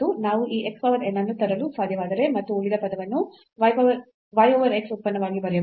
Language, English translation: Kannada, So, this x power n will be in the denominator term and in this case again we have here y over x power n